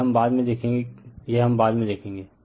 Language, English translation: Hindi, This we will see later this we will see later right